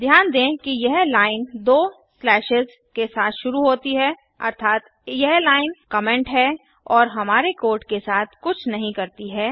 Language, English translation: Hindi, Notice that this line begins with two slashes which means this line is the comment and has nothing to do with our code